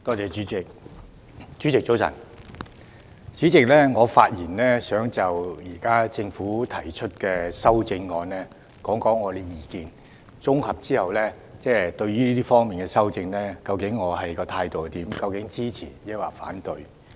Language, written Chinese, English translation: Cantonese, 我想就現在政府對《2019年稅務條例草案》提出的修正案提出我的綜合意見，說明究竟我對這方面的修訂的態度是支持還是反對。, I would like to put forward my consolidated views on the Governments currently proposed amendments to the Inland Revenue Amendment Bill 2019 the Bill thereby indicating whether I support or oppose the amendments in question